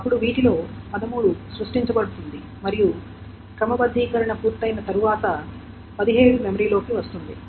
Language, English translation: Telugu, Then out of this, 13 will be created and once 13 is done, 17 will be brought into memory